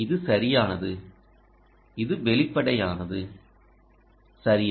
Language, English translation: Tamil, ok, this is right, this is obvious, right